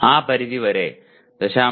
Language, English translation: Malayalam, To that extent 0